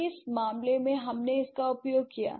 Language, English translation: Hindi, And in what case, why did we use it